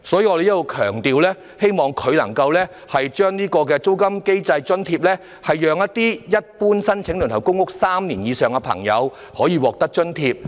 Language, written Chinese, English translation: Cantonese, 我在此強調，希望政府能制訂租金津貼機制，讓輪候公屋3年以上的人士可獲發津貼。, I stress that I hope the Government can formulate a rent allowance mechanism so that persons having been waitlisted for public rental housing for more than three years can be granted such an allowance